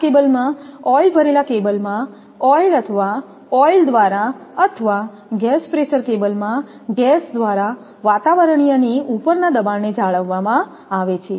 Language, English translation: Gujarati, In these cable, pressure is maintained above the atmospheric either by oil or oil in oil filled cables or by gas in gas pressure cables